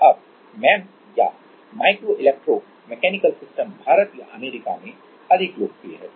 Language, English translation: Hindi, Now, make MEMS or Micro Electro Mechanical Systems is more popular in like India or US